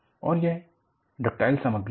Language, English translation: Hindi, And, this is a ductile material